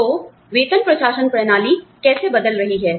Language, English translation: Hindi, How are, the salary administration systems, changing